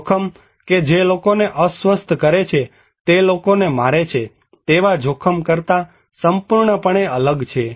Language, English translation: Gujarati, The risk that upset people are completely different from than the risk that kill people